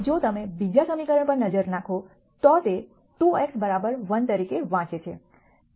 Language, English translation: Gujarati, If you look at the second equation it reads as 2 x 1 equal 2